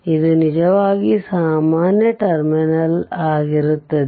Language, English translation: Kannada, And as this is actually common terminal so right